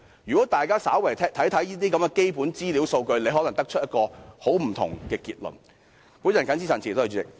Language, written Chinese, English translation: Cantonese, 如果大家稍為參看一下基本資料和數據，便可能得出一個截然不同的結論。, If people only a little attention to the basic information and data they will arrive at a totally different conclusion